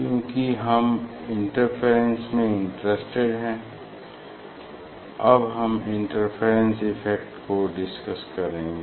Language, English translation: Hindi, now, I will since we are interested in the interference, so I will discuss about the interference effect more